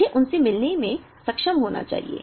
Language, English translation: Hindi, I should be able to meet them